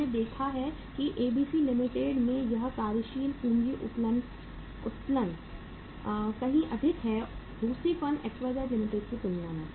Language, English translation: Hindi, We have seen that ROI this working capital leverage is much more higher in the ABC Limited as compared to the second firm XYZ Limited